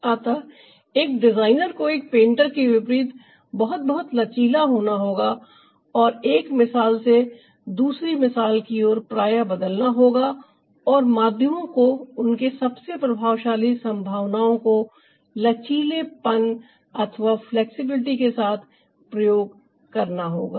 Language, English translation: Hindi, so a designer, unlike a painter, ah has to be very, very flexible and shift from one paradigm to another paradigm frequently and flexibly, to ah use the mediums to their ah most effective possibilities